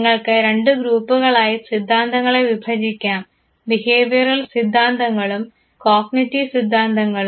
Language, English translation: Malayalam, you can by and large divide the theories into two groups the behavioral theories and the cognitive theories